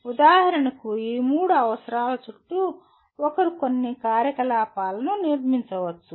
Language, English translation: Telugu, For example, around these three requirements one can build some activities